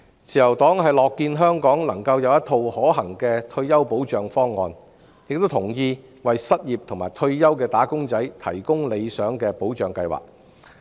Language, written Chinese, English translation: Cantonese, 自由黨樂見香港有一套可行的退休保障方案，亦贊同為失業和退休的"打工仔"提供理想的保障計劃。, The Liberal Party is glad to see a feasible retirement protection scheme in place in Hong Kong and also subscribes to the provision of a desirable protection scheme for the unemployed and retired workers